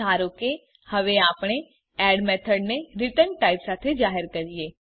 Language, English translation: Gujarati, Suppose now we declare add method with return type